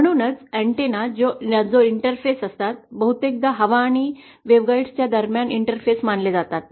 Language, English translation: Marathi, ThatÕs why antennas which are interface, often considered as interface between air and waveguide